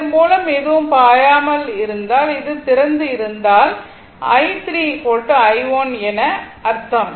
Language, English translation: Tamil, Nothing is flowing through this and and this is open means, i 3 is equal to i 1